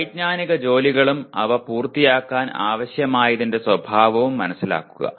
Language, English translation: Malayalam, Understanding cognitive tasks and the nature of what is required to complete them